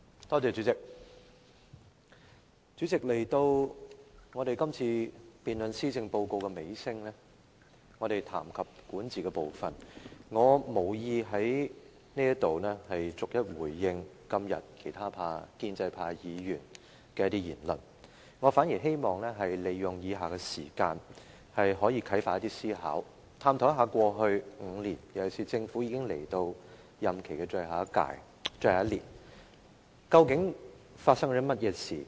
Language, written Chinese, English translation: Cantonese, 代理主席，來到今次施政報告辯論的尾聲，我們談及管治的部分，我無意在此對今天其他建制派議員的言論逐一回應，我反而希望利用以下時間啟發思考，探討一下在過去5年，尤其是政府已到了任期的最後1年，究竟發生了甚麼事情？, Deputy President as this debate on the Policy Address is drawing to a close we are speaking on the part about governance . Here I do not intend to respond to the speeches delivered by the other Members of the pro - establishment camp today one by one . Instead I wish to use the following time to inspire Members to think about and examine what has actually happened over the past five years especially when the Government has reached the final year of its term of office